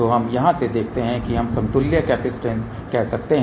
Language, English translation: Hindi, So, let us see from here we can say the equivalent capacitance